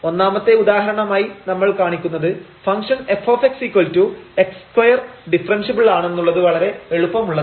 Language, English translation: Malayalam, So, the example 1 we will show now that the function fx is equal to x square is differentiable its a pretty simple